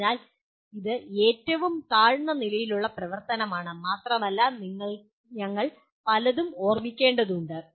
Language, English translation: Malayalam, So this is a lowest level activity and we require to remember many things